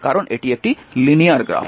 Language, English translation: Bengali, Because it is a linear characteristic